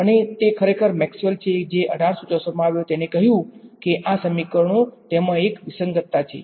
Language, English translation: Gujarati, And it is actually Maxwell who came in 1864 who said that these equations; there is an inconsistency in them